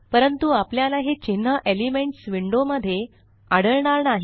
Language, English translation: Marathi, But we wont find these characters in the Elements window